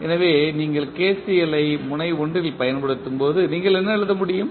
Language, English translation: Tamil, So, when you apply KCL at node 1 what you can write